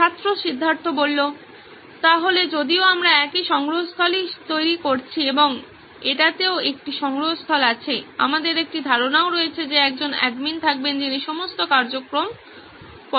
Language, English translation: Bengali, So since we are developing a repository and it also has a, we also have an assumption that there would be an admin who would be monitoring all the activities